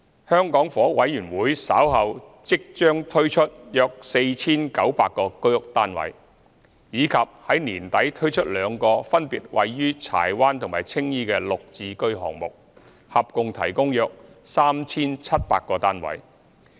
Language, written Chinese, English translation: Cantonese, 香港房屋委員會稍後將推出約 4,900 個居屋單位，以及在年底推出兩個分別位於柴灣和青衣的"綠置居"項目，合共提供約 3,700 個單位。, The Hong Kong Housing Authority will soon launch about 4 900 HOS flats and introduce two GSH projects in Chai Wan and Tsing Yi respectively at the end of the year providing a total of about 3 700 flats